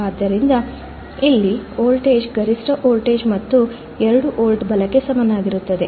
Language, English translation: Kannada, So, here the voltage is the peak to peak voltage and is equal to 2 volts right